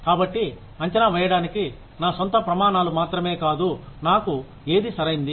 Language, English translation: Telugu, So, I not only have my own standards for assessing, what is fair for me